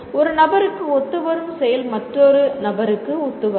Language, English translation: Tamil, What works for one person will not work for another person